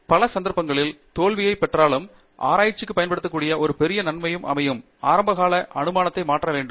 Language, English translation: Tamil, And one great advantage of research, which you can use to get over your failure, in many cases, you should change your initial assumptions